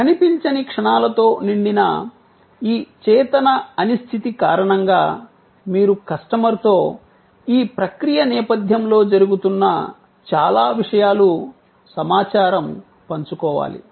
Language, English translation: Telugu, Because of this conscious uncertainty filled intangible moments, you need to share with the customer, a lot of information, lot of process, the stuff that are going on in the back ground